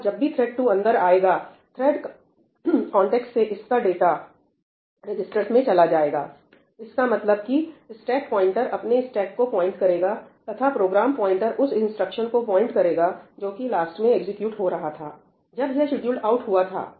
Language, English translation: Hindi, Now when thread 2 comes in, its data from its thread context gets moved into the registers; which means that now the stack pointer will be pointing to its own stack and the program counter will be pointing to the instruction that it was executing last, when it was scheduled out